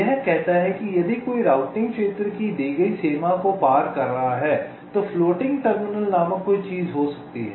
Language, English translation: Hindi, it says that if a net is crossing the given boundary of a routing region, then there can be something called floating terminals